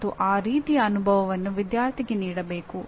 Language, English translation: Kannada, And that kind of experience should be given to the student